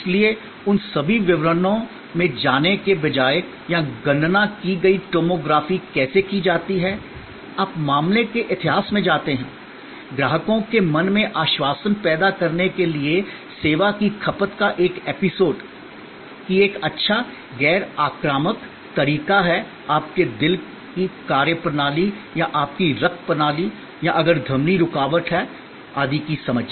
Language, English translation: Hindi, So, there instead of getting into all those details or how computed tomography is done, you go in to case history, an episodes of service consumption to create the assurance in customers mind, that this is a good non invasive way of getting a good understanding of your hearts functioning or your blood system or if the arterial blockage or etc